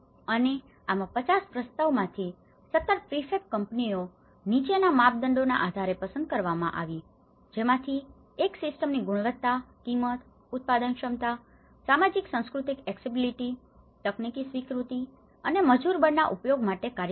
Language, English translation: Gujarati, And, this is where about 17 prefab out of 50 proposals 17 prefab companies were selected based on the following criteria, one is the quality of the system, the price, the production of the capacity, socio cultural accessibility, acceptability of the technology and scope for the use of labour force